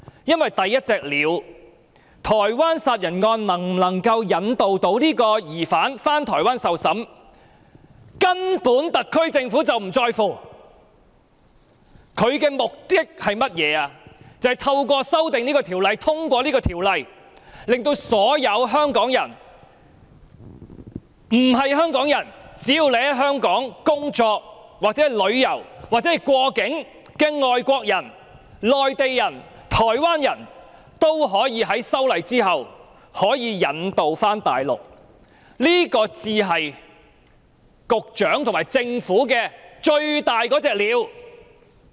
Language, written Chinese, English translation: Cantonese, 因為第一隻鳥，即台灣殺人案能否引渡該名疑犯返回台灣受審，特區政府根本並不在乎，政府的目的是通過《條例草案》，令所有香港人，或只要在香港工作、旅遊或過境的外國人、內地人及台灣人，日後可以被引渡到大陸，這才是局長和特區政府最大的"鳥"。, The reason is that the SAR Government does not care about the first bird ie . whether the suspect of the homicide case in Taiwan can be extradited . The purpose of the Government is to subject all Hong Kong people as well as all foreigners Mainlanders and Taiwanese who are working travelling or transiting via Hong Kong to extradition to the Mainland